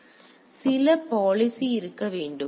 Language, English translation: Tamil, So, there should be some policy